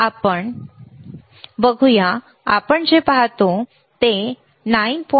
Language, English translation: Marathi, So, let us see, right what we see is around 9